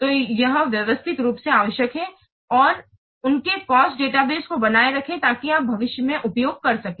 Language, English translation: Hindi, So it needs systematically maintained the cost database so that you can use in future